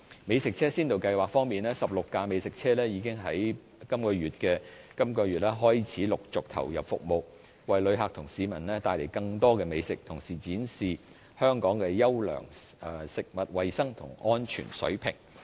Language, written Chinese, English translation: Cantonese, 美食車先導計劃方面 ，16 輛美食車已經在本月開始陸續投入服務，為旅客和市民帶來更多美食，同時展現香港優良的食物衞生及安全水平。, Regarding the Food Truck Pilot Scheme 16 food trucks have commenced business this month to provide a variety of dishes for tourists and the public and to show off the good food hygiene and safety of Hong Kong